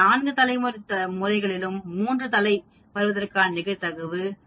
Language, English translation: Tamil, Out of 4 heads 3 heads 25 percent probability